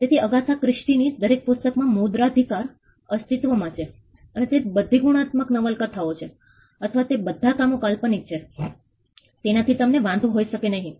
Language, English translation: Gujarati, So, copyright subsist in all the books of Agatha Christie and they cannot be an objection that they are all crime novels, or they are all works of fiction